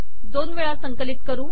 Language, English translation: Marathi, So let us compile once again